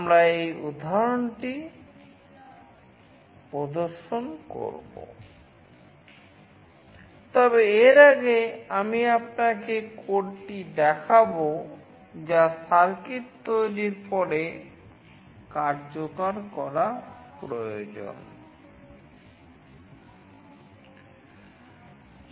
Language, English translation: Bengali, We will be demonstrating this example, but before that I will be showing you the code that is required to be executed after making the circuit